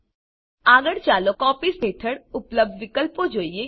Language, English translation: Gujarati, Next, lets look at the options available under Copies